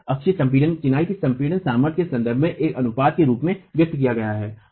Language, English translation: Hindi, This axial compression expressed as a ratio with respect to the compressive strength of masonry